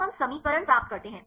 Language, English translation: Hindi, So, we derive the equation